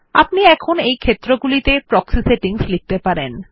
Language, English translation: Bengali, You can now enter the the proxy settings in these fields